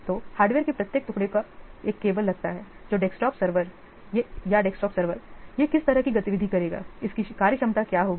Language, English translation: Hindi, So each piece of hardware, suppose a desktop app desktop server, what kind of activity it will do